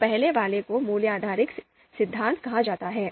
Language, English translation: Hindi, So first one is called value based theories